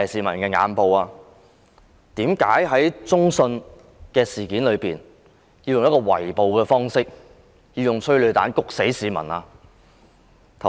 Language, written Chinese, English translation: Cantonese, 為甚麼要在中信大廈採用圍捕方式，施放催淚彈令市民呼吸困難？, Why did the Police kettle the people at CITIC Tower and fire tear gas rounds at them causing breathing difficulties?